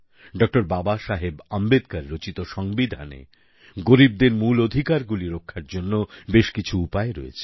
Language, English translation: Bengali, Baba Saheb Ambedkar, many provisions were inserted to protect the fundamental rights of the poor